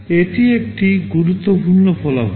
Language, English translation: Bengali, This is an important result